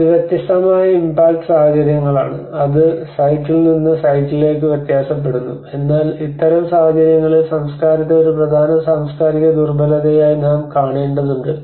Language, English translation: Malayalam, So it is a different sets of impact situations which we considered varies from site to site but in this kind of conditions we need to look at the culture as an important cultural vulnerability